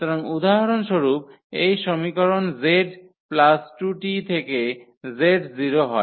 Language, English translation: Bengali, So, for example, the z form this equation z plus 2 t is equal to 0